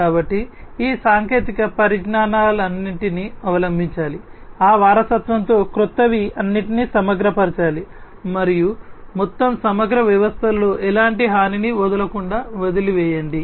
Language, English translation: Telugu, So, all these technologies should be adopted, the newer ones with that legacy ones should be all integrated together leave it without leaving any kind of vulnerability in the whole integrated system